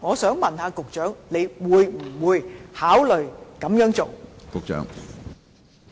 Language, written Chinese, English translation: Cantonese, 請問局長會不會考慮這樣做呢？, Will the Secretary consider doing so?